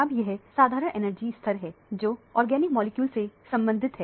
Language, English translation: Hindi, Now, these are the common energy levels associated with organic molecule